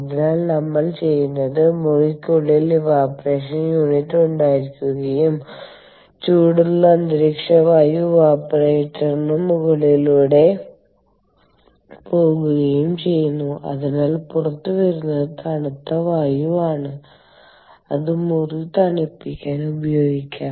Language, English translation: Malayalam, ok, so therefore, what we do is we have the evaporator unit inside the room and we have the warm ambient air go over the evaporator and therefore what comes out is cool air which we can use to cool down the room